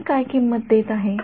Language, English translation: Marathi, What is the price I am paying